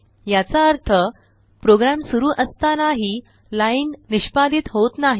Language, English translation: Marathi, This means, this line will not be executed while running the program